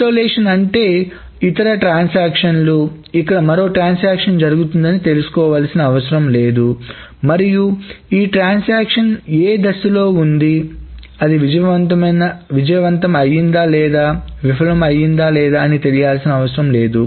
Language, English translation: Telugu, But isolation essentially means is that the other transaction does not need to know that there is another transaction going on here and it doesn't care whether this transaction, what stage this transaction is whether it has succeeded or failed